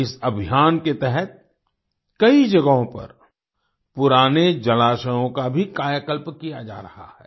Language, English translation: Hindi, Under this campaign, at many places, old water bodies are also being rejuvenated